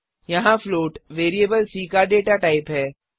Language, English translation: Hindi, Here, float is a data type of variable c